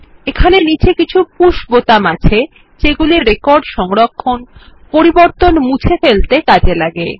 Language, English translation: Bengali, Here are some push buttons at the bottom for performing actions like saving a record, undoing the changes etc